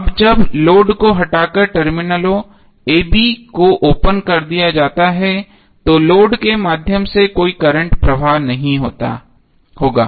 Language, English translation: Hindi, Now when the terminals a b are open circuited by removing the load, no current will flow through the load